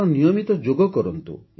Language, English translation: Odia, You should do Yoga regularly